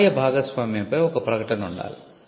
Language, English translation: Telugu, There has to be a statement on revenue sharing